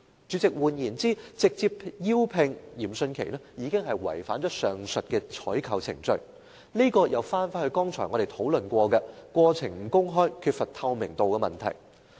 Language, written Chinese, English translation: Cantonese, 主席，換言之，直接委聘嚴迅奇已經違反上述的採購程序，這涉及我們剛才提到的過程不公開、缺乏透明度的問題。, President in other words the direct appointment of Rocco YIM had violated the above procurement procedures ie the process was not open and lacked transparency as I mentioned earlier